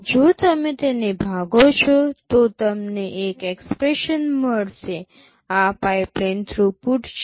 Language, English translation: Gujarati, If you divide it, you get an expression, this is pipeline throughput